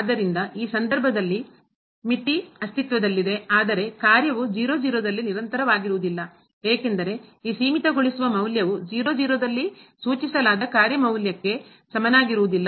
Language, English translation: Kannada, So, the limit exist in this case, but the function is not continuous at , because this limiting value is not equal to the function value which is prescribed at